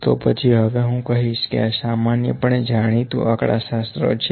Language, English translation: Gujarati, So, next point I can say here that this is generally known statistical